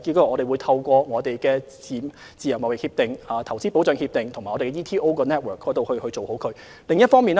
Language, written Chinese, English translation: Cantonese, 我們會透過簽訂自貿協定及投資協定，以及香港經貿辦的網絡做好這方面的工作。, We will accomplish this task through entering into FTAs and investment agreements via our network of ETOs